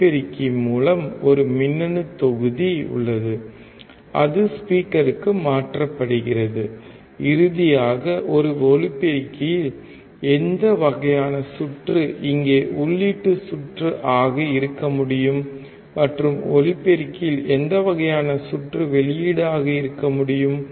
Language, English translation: Tamil, Through mike there is a electronic module, and it transferred to the speaker that finally, is a speaker which kind of circuit can be the input circuit here, and which kind of circuit can be output at the speaker